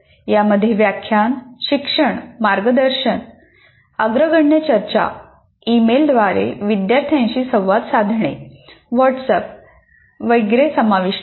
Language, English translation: Marathi, These include lecturing, tutoring, mentoring, leading discussions, communicating with students by email, WhatsApp, etc